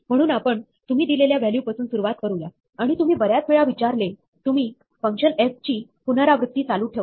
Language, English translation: Marathi, So, we start with the value that you are provided, and as many times as you are asked to, you keep iterating function f